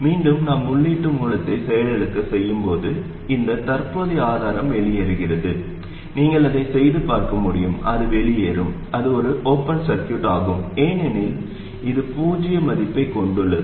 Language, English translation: Tamil, And again when we deactivate the input source, this current source drops out, it turns out, okay, you can work it out and see it will drop out, it will become an open circuit because it has zero value